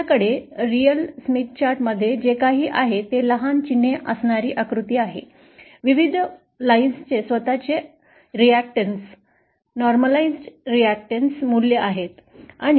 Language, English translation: Marathi, What you have in a real Smith chart is a figure like this with small markings, the various lines have their own reactances, normalised reactance values